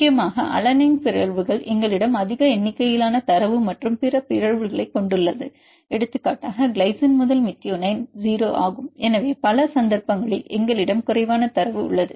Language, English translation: Tamil, Mainly alanine mutations we have more number of data and other mutations for example, glycine to methionine is 0, so many cases we have less number of data